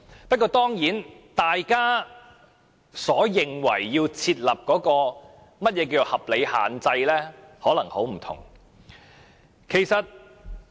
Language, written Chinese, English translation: Cantonese, 不過，大家所認為要設立的合理限制，可能有很大差異。, However the reasonable restrictions that different Members have in mind may vary widely